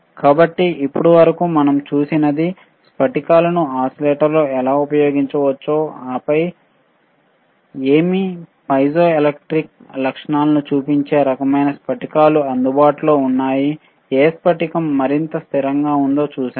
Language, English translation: Telugu, So, what we have seen until now is how the crystals can be used in oscillator, and then what kind of crystals are available which shows the piezoelectric properties, isn’t it shows the piezoelectric property and then we have seen that which crystal is more stable, which crystal is more stable and